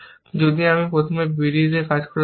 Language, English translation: Bengali, So, you would get a b d